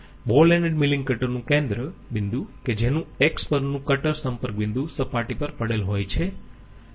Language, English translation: Gujarati, The Centre point of the ball ended milling cutter having cutter contact point at X would lie on the plane, no it will not